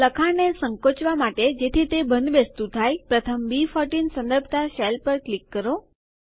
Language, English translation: Gujarati, In order to shrink the text so that it fits, click on the cell referenced as B14 first